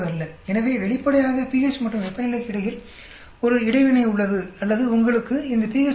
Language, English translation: Tamil, So obviously, there is an interaction between pH and temperature or you may have a situation like this pH 3